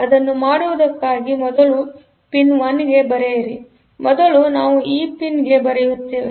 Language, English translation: Kannada, So, for doing it; so, what we need to do is first write a 1 to the pin; so first we write a 1 to this pin